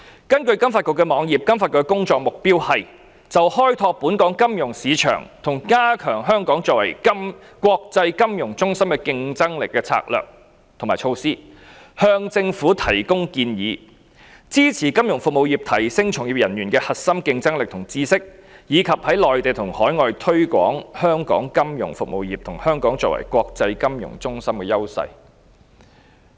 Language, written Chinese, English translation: Cantonese, 根據金發局網頁，它的工作目標是 ：1 就開拓本港金融市場和加強香港作為國際金融中心的競爭力的策略和措施，向政府提供建議 ；2 支持金融服務業提升從業人員的核心競爭力和知識；及3在內地和海外推廣香港金融服務業和香港作為國際金融中心的優勢。, According to the FSDC website its objectives are to 1 advise the Government on strategies and measures to expand the scope of the financial markets of Hong Kong and enhance the competitiveness of Hong Kong as an international financial centre; 2 support the financial services industry in developing the core competence and knowledge of its practitioners; and 3 promote our financial services industry of Hong Kong and Hong Kong as an international financial centre on the Mainland and overseas